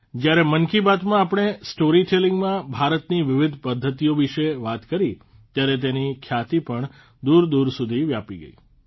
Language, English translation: Gujarati, When we spoke of Indian genres of storytelling in 'Mann Ki Baat', their fame also reached far and wide